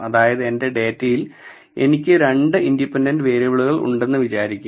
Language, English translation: Malayalam, Say for instance I have 2 independent variables in my data